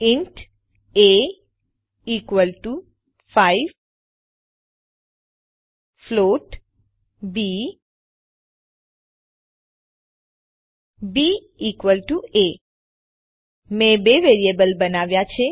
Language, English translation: Gujarati, int a equal to 5 float b b equal to a I have created two variables